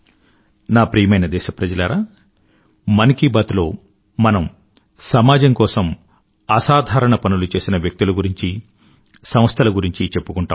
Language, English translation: Telugu, My dear countrymen, in "Mann Ki Baat", we talk about those persons and institutions who make extraordinary contribution for the society